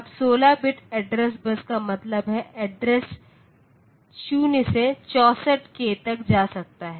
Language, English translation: Hindi, Now, 16 bit address bus means the address is can go from 0 to 64 k